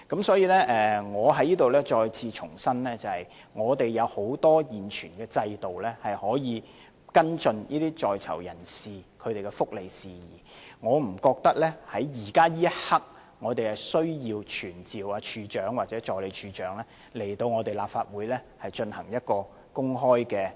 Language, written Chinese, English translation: Cantonese, 所以，我在此重申，我們現存的制度有很多途徑，可以跟進在囚人士的福利事宜，我不覺得現在有需要傳召懲教署署長或助理署長來立法會進行公開質詢。, Therefore I reiterate here that since our existing system provides many channels to follow up on the well - being of prisoners I do not think that we presently have the need to summon the Commissioner of Correctional Services or the Assistant Commissioner of Correctional Services to this Council to attend an open question and answer session